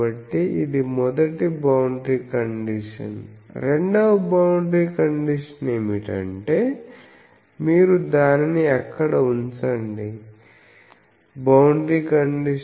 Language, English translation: Telugu, So, this is the first boundary condition the second boundary condition is that you put it there